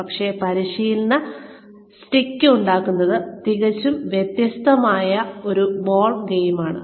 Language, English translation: Malayalam, But, making the training stick, is a totally different ball game